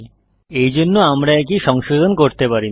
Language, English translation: Bengali, Hence, we cannot modify this key